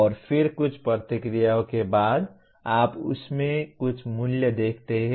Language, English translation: Hindi, And then after a few responses, you see some value in that